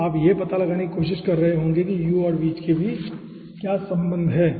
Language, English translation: Hindi, okay, here you will be tying to finding out what is the relationship between this u and v